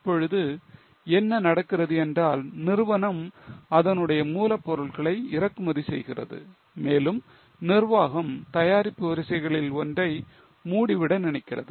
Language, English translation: Tamil, Now, what is happening is company is importing its raw material and management wants to close down one of the lines